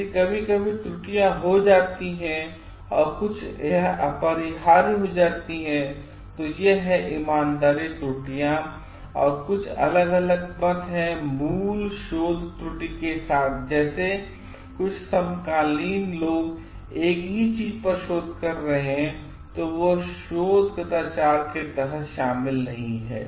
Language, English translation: Hindi, If sometimes errors get committed and some it becomes unavoidable, so that is honest errors and some new differents of opinion has happened with the original research error some other contemporary people doing research on the same thing, then those are not included under research misconduct